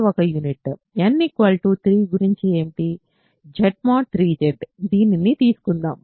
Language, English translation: Telugu, Z mod 3 Z, let us take this